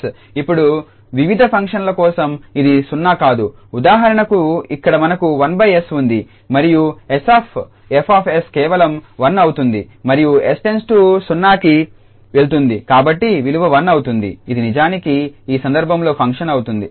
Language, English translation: Telugu, Now for various functions this is not going to be 0, for instance, here we have 1 over s and s F s will be just 1 and s goes to 0, so the value will be 1 which is indeed the function in this case